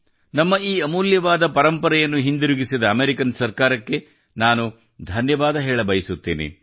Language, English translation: Kannada, I would like to thank the American government, who have returned this valuable heritage of ours